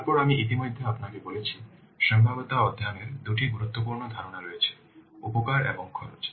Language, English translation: Bengali, Then as I have already told you two important concepts are there in a feasibility study, the benefits and costs